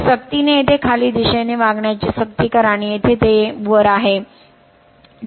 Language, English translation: Marathi, Then we force actually acting downwards here and here it here it is upward right